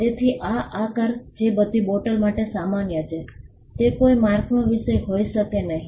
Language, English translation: Gujarati, So, this shape which is common to all bottles cannot be the subject matter of a mark